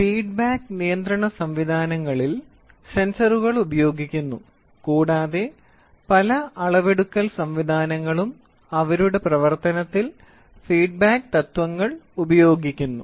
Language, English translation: Malayalam, Sensors are used in feedbacks, sensors are used in feedback control systems and many measurement systems themselves use feedback principles in their operation